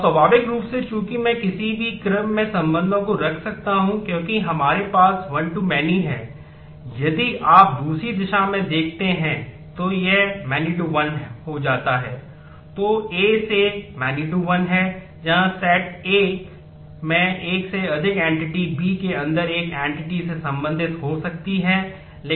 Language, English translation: Hindi, Now naturally since I can put the relations in any order as we have one to many if you look in the other direction it becomes many to one